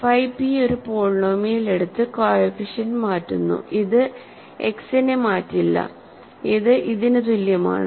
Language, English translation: Malayalam, Phi p takes a polynomial and simply changes the coefficients, it does not change X, this is equal to this